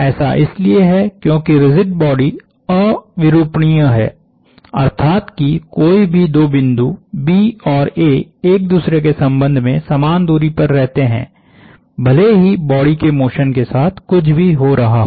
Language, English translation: Hindi, That is because our body is non deforming; that is any two points B and A remain at the same distance with respect to each other irrespective of what is happening to the motion of the body